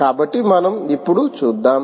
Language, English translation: Telugu, so lets see